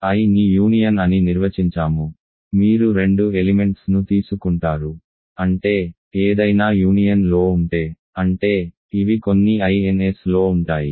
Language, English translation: Telugu, I is defined to be the union, you take two elements so; that means, if something is in the union; that means, it is in some of the I ns